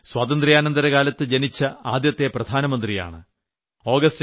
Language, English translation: Malayalam, And I am the first Prime Minister of this nation who was born in free India